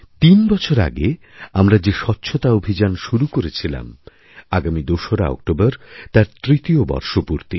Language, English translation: Bengali, The campaign for Cleanliness which was initiated three years ago will be marking its third anniversary on the 2nd of October